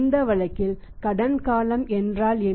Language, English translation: Tamil, In this case what is credit period